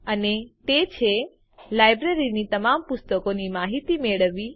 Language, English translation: Gujarati, And that is: Get information about all books in the library